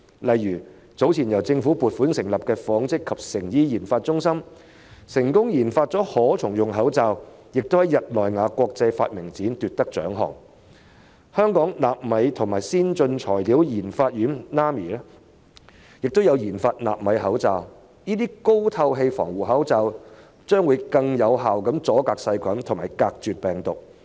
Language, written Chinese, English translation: Cantonese, 例如早前由政府撥款成立的香港紡織及成衣研發中心便成功研發了可重用口罩，並且在日內瓦國際發明展奪得獎項；香港納米及先進材料研發院有限公司亦有研發納米口罩，這些高透氣防護口罩能更有效隔絕細菌和病毒。, For example the government - funded Hong Kong Research Institute of Textiles and Apparel succeeded in developing reusable masks and won a prize at the International Exhibition of Inventions of Geneva . The Nano and Advanced Materials Institute Limited has also developed nano masks and such breathable protective masks can filter bacteria and viruses more effectively